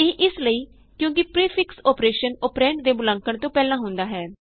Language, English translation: Punjabi, This is because a prefix operation occurs before the operand is evaluated